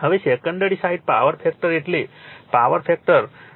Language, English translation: Gujarati, Now, secondary side power factor is power factor is 0